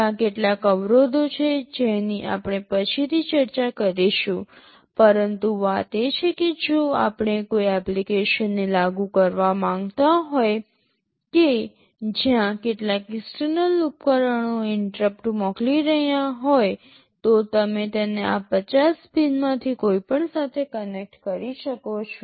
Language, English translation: Gujarati, There are some constraints we shall be discussing later, but the thing is that if we want to implement an application where some external devices are sending interrupt, you can connect it to any of these 50 pins